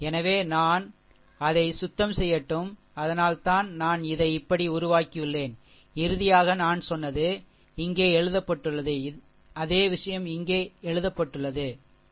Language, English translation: Tamil, So, let me clean it , right that is why I have make it like this and finally, finally, if you the way I told whatever, I wrote same thing is written here same thing is written here, right